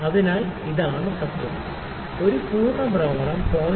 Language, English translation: Malayalam, So, this is the principle; one full rotation only 0